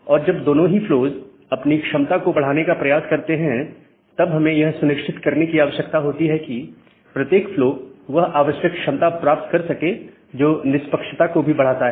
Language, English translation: Hindi, And when both the flows tries to maximize their capacity during that time, we need to ensure that every flow gets the required capacity that maximizes its fairness as well